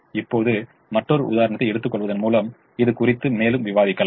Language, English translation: Tamil, now let us have a further discussion on this by taking another example